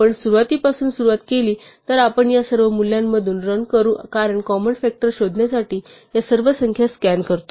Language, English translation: Marathi, If we start from the beginning then we will run through all these values anyway because we scan all these numbers in order to find the common factors